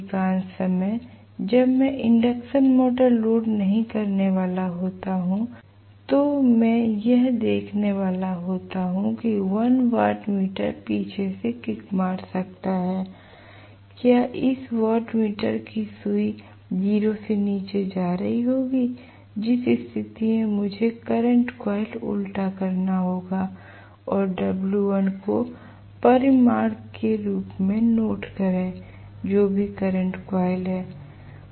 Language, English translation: Hindi, Most of the times when I am not going to have the induction motor loaded I am going to see that 1 of the watt meters might kick back that is I will have the needle of this watt meter going below 0 in which case I have to reverse the current coil and note down the w1 as the magnitude whatever it is the current coil